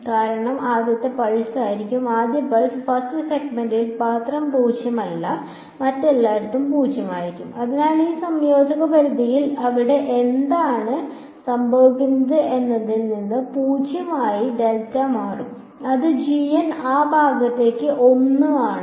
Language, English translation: Malayalam, Because g 1 will be the first term and g 1 is nonzero only in the first pulse first segment and 0 everywhere else So, in this limits of integration it will become 0 to delta right what happens over here gn which is 1 for that part